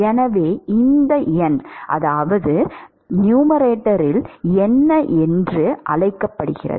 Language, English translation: Tamil, So, what is this numerator called as